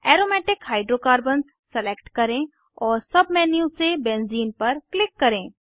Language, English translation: Hindi, Lets select Aromatic Hydrocarbons and click on Benzene from the Submenu